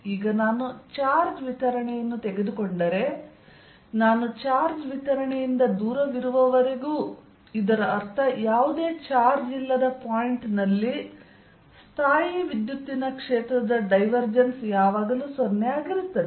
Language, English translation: Kannada, so now, if i take charge distribution, as long as i am away from the charge distribution, that means at a point, at a point where there is no charge, diversions of electrostatic field will always be zero